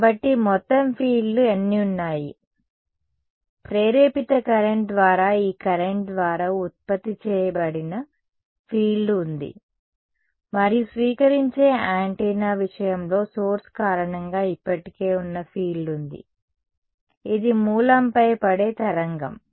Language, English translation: Telugu, So, how many total fields are there, there is the field that is produce by this current by the induced current and then there is a field that was already present due to a source in the case of a receiving antenna it is a wave that is falling on the source